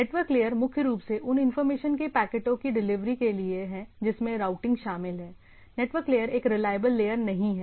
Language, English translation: Hindi, Network layer primarily involved for delivery of packets of information which includes routing right, rather what will see that network layer it is what we say it is not a reliable layer